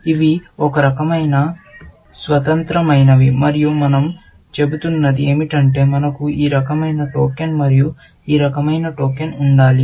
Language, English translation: Telugu, These are kind of independent and all we are saying is that we should have one token of this kind, and one token of this kind